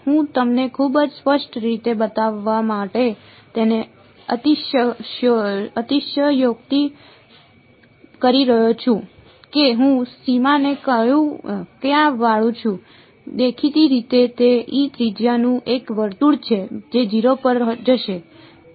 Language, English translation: Gujarati, I am exaggerating it to show you very clearly which way I am bending the boundary where; obviously, that is a it is a circle of radius epsilon which will go to 0